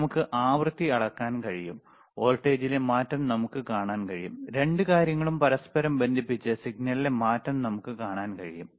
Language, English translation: Malayalam, And we can measure the frequency, we can see the change in voltage, we can see the change in signal by connecting both the things together, all right